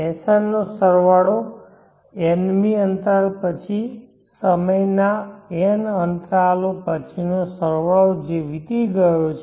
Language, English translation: Gujarati, Sn is sum of the nth interval of time that as elapsed